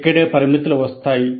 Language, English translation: Telugu, And this is where the limitations come